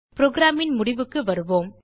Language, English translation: Tamil, Coming to the end of the program